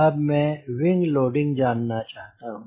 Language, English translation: Hindi, we know the wing loading